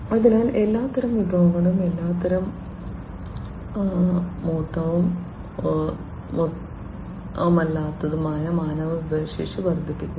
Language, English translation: Malayalam, So, boosting up all kinds of resources, all kinds of you know tangible, non tangible human resources, and so on